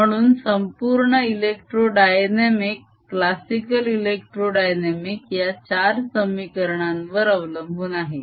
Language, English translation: Marathi, so entire electrodynamics, classical electrodynamics, is based on these four equations